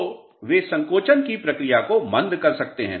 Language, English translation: Hindi, So, they may retard the process of shrinkage